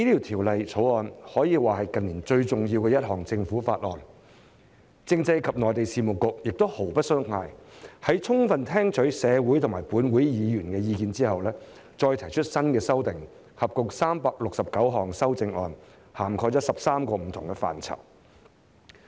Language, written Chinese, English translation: Cantonese, 《條例草案》可說是近年最重要的一項政府法案，政制及內地事務局亦毫不鬆懈，在充分聽取社會和立法會議員的意見後，再提出新修訂，合共369項修正案，涵蓋13個不同範疇。, It can be said that the Bill is the most important piece of Government bill in recent years . The Constitutional and Mainland Affairs Bureau has spared no effort in proposing new amendments after listening carefully to the views of the community and Members of the Legislative Council . There are a total of 369 amendments covering 13 different areas